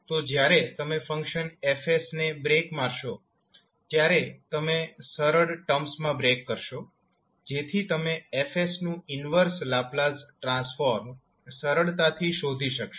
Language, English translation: Gujarati, So, when you break the function F s, you will break into simpler terms, so that you can easily find the inverse Laplace transform of F s